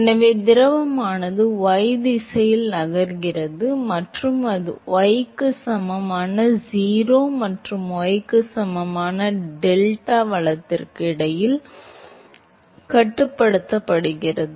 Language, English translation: Tamil, So, which means that the fluid is moving in the y direction and it is bounded between y equal to 0 and y equal to delta right